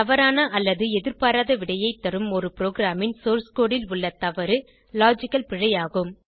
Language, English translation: Tamil, Logical error is a mistake in a programs source code that results in incorrect or unexpected behavior